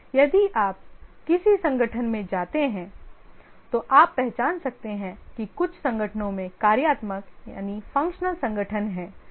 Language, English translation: Hindi, If you visit a organization, you can identify that some organizations have functional organization